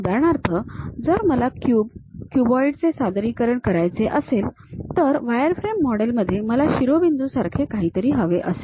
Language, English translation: Marathi, For example, if I want to represent a cube, cuboid; in the wireframe model what I require is something like vertices